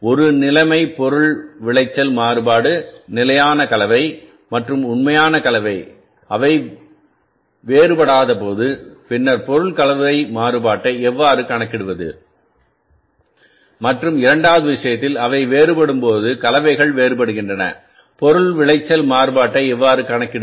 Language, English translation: Tamil, One situation is the material yield variance when the standard mix and the actual mix they do not differ how to calculate the material mix variance and in the second case when they differ, the mixes differ how to calculate the material yield variance